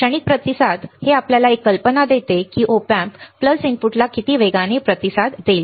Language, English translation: Marathi, Transient response is nothing, but this gives you an idea of how fast the Op amp will response to the pulse input